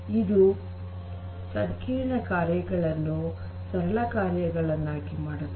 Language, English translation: Kannada, And it makes the complex tasks into simpler tasks